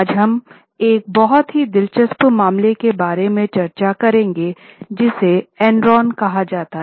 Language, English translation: Hindi, Today we will discuss about a very interesting case which is known as case of Enron